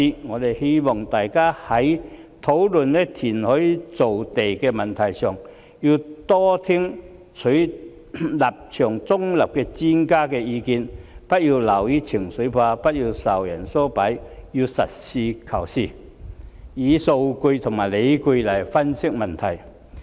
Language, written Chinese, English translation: Cantonese, 我們希望大家在討論填海造地的問題上，要多聽取立場中立的專家的意見，不要流於情緒化，不要受人唆擺，要實事求是，以數據及理據來分析問題。, We hope that when discussing the issue of reclamation we can listen more to the views of experts who take a neutral stance . We should not be emotional; nor should we be instigated to dance to the tune of other people . Rather we should be pragmatic and analyse the issue based on statistics and reasons